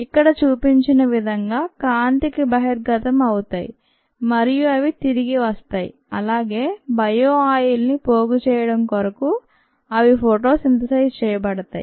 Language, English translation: Telugu, they are exposed to light, as a shown here, and they come back and they photo synthesize to accumulate bio oil